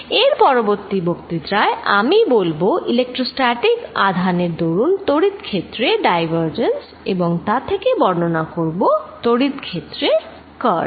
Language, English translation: Bengali, In the next lecture I will talk about divergence of electric field due to electrostatic charges and then go on to describe the curl of the electric field